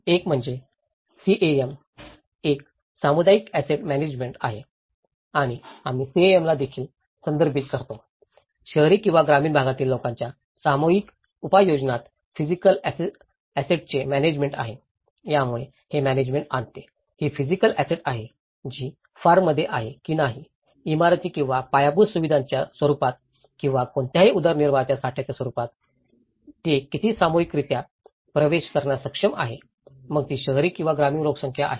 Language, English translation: Marathi, One is CAM, which is a community asset management and we also refers CAM, it is the management of physical assets in collective use by urban or rural populations so, this brings the management so, these are the physical assets whether it is in the form of buildings or in a form of infrastructure or in the form of any livelihood stock so, how collectively they are able to access, whether it is an urban or rural population